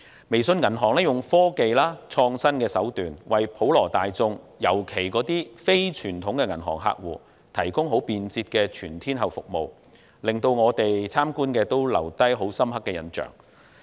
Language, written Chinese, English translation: Cantonese, 微眾銀行利用科技、創新手段，為普羅大眾，尤其是非傳統銀行客戶，提供便捷的全天候服務，令我們留下深刻印象。, The WeBank uses technology in an innovative approach to provide convenient all - weather services for the general public and especially the non - conventional bank clients